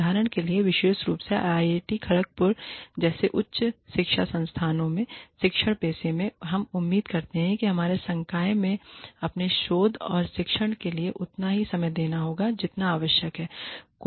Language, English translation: Hindi, For example, in the teaching profession, especially in institutes of higher education like, IIT, Kharagpur, we expect our faculty, to devote as much time, as is necessary, to their research and teaching